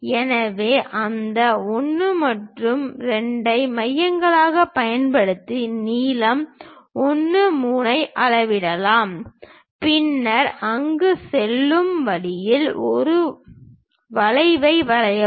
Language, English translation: Tamil, So, using those 1 and 2 as centers measure what is the length 1 3, then draw an arc all the way passing through there